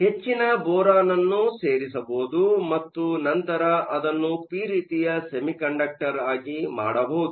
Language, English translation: Kannada, So, it could add excess of boron and then make it a p type semiconductor